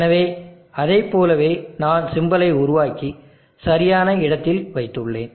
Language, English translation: Tamil, So like that the symbol I made the symbol and placed it the proper place